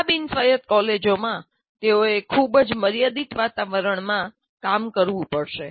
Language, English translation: Gujarati, In this non autonomous college, they have to operate in a very constrained environment